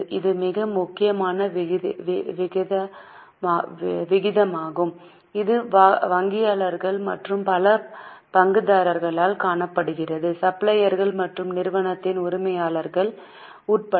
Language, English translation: Tamil, This is a very important ratio which is seen by bankers and many other stakeholders including suppliers and also the owners of the company